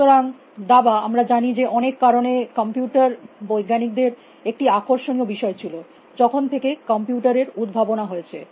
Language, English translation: Bengali, So, chess as we know, for many reasons has been fractionation for computer scientist for ever since a computers go invented